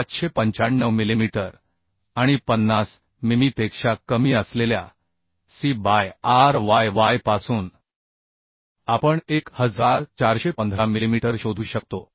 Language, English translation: Marathi, And from C by ryy less than 50 mm we could find 1415 millimetre